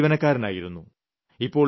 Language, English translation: Malayalam, He used to work for the government